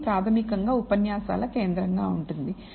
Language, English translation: Telugu, This is basically going to be the focus of the lectures